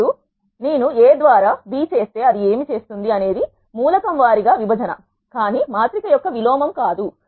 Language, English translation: Telugu, Now, if I do A by B what it does is element wise division, but not the inverse of a matrix